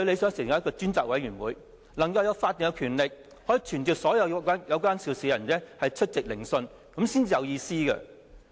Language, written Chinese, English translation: Cantonese, 是成立一個專責委員會，能夠有法定權力，可以傳召所有有關涉事的人出席聆訊，這樣才有意思。, It is to set up a select committee which can have legal power to summon all the people concerned to attend the hearings and this will be meaningful